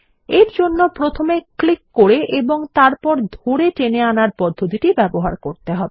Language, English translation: Bengali, We will use the click, drag and drop method